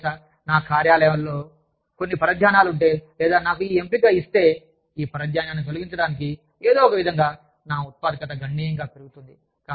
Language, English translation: Telugu, You know, if my offices, has few distractions, or, if i am given the option, to remove these distractions, somehow, my productivity will go up, considerably